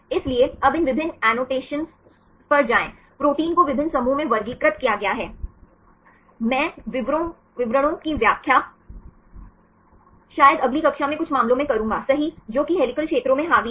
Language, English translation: Hindi, So, now go to these different annotations, the proteins are classified in different groups, I will explain the details maybe in the next class right in some cases which are dominated by helical regions